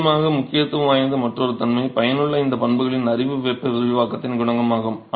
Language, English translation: Tamil, Of course, another property that is of importance and knowledge of this property is useful is a coefficient of thermal expansion